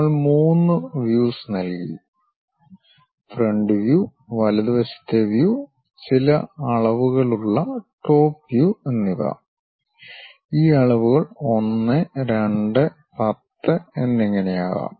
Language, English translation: Malayalam, We have given three views, the front view, the right side view and the top view with certain dimensions these dimensions can be 1, 2, 10 and so on